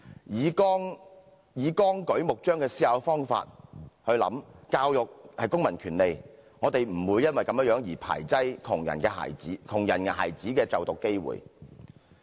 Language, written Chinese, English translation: Cantonese, 以綱舉目張的方法來思考，教育是公民權利，我們不會排斥窮人孩子的就讀機會。, If we think it that way and understand education as a civil right we will not deprive poor children of the opportunity to receive education